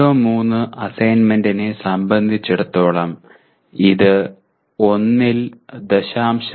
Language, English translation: Malayalam, As far as CO3 assignment is concerned it is 0